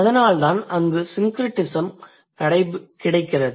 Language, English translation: Tamil, So, that is why there is a syncretism available there, right